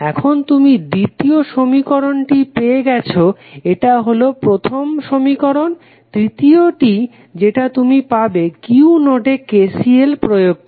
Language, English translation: Bengali, Now, you have got the second equation this was your first equation, the third which you will get is using KCL at node Q